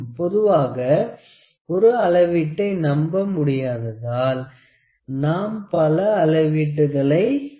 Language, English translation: Tamil, Generally, we do not trust the single measurements we do multiple measurements